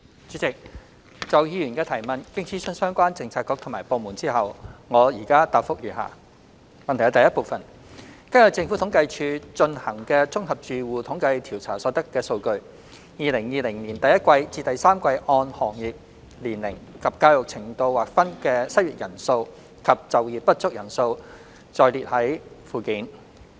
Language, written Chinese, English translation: Cantonese, 主席，就議員的主體質詢，經諮詢相關政策局及部門後，我的主體答覆如下：一根據政府統計處進行的"綜合住戶統計調查"所得數據 ，2020 年第一季至第三季按行業、年齡及教育程度劃分的失業人數及就業不足人數載列於附件。, President having consulted the relevant bureaux and departments my main reply to the Members question is set out below 1 Based on data obtained from the General Household Survey conducted by the Census and Statistics Department the numbers of unemployed persons and underemployed persons by industry age and educational attainment from the first quarter to the third quarter of 2020 are set out in Annex